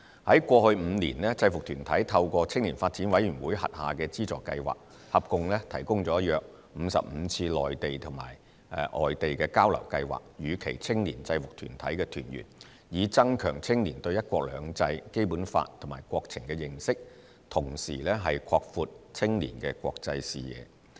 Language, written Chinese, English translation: Cantonese, 在過去5年，制服團體透過青年發展委員會轄下的資助計劃，合共提供了約55次內地或外地交流計劃予其青年制服團體團員，以增強青年對"一國兩制"、《基本法》及國情的認識，同時擴闊青年的國際視野。, In the past five years through the funding schemes under the YDC a total of about 55 exchange programmes on the Mainland or overseas have been provided to the youth members of UGs for enhancing their understanding of one country two systems the Basic Law and national affairs and for broadening their international perspective as well